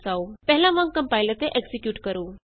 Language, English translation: Punjabi, Compile and execute as before